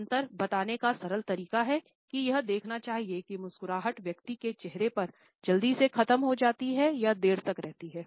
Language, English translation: Hindi, A simple way to tell the difference is to watch how does the smile fate on an individual’s face, does it end quickly or does it linger